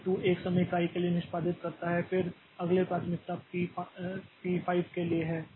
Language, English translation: Hindi, So, P2 executes for one time unit, then next priority is to P5